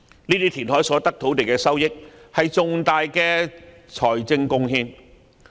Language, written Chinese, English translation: Cantonese, 由填海所得土地的收益，是重大的財政貢獻。, Revenue from reclaimed land constitutes significant fiscal contributions